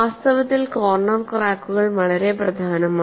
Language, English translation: Malayalam, And in reality, corner cracks are very important